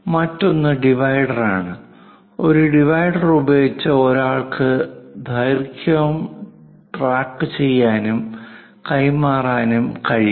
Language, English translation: Malayalam, The other one is divider, using divider, one can track and transfer lengths